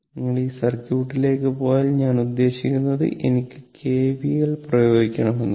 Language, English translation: Malayalam, If you go to this circuit right, your go to this circuit, I mean if you your suppose I want to apply KVL right, I want to apply KVL